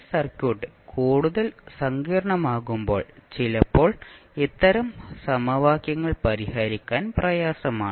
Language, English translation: Malayalam, Sometimes these types of equations are difficult to solve when the circuit is more complex